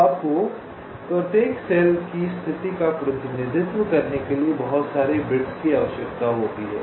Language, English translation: Hindi, so you need so many bits to represent the state of each cell